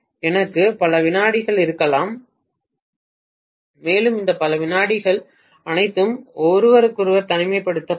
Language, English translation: Tamil, So I may have multiple secondaries and all these multiple secondaries will be isolated from each other